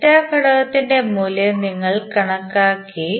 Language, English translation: Malayalam, We just calculated the value of value for delta element